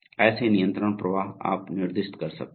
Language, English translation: Hindi, So, such control flows you can specify